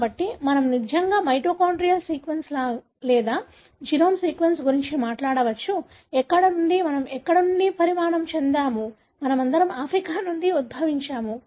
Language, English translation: Telugu, So, we can really talk about what could be the mitochondrial sequence or the genome sequence, where, from where we evolved; we talk about we all evolved from Africa